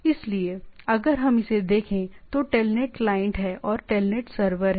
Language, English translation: Hindi, So, if we look at it, so there is a telnet client and there is a telnet server